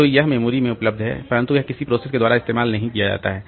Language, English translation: Hindi, So, it is there in the memory but it is not being used by the process by the processes